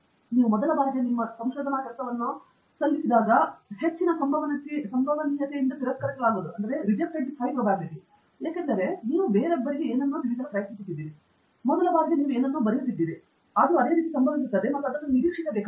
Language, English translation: Kannada, First time you submit your work, very high probability, it will get rejected because you are trying to convey something to somebody else, very first time you are writing something, it will happen that way, and you have to be expecting it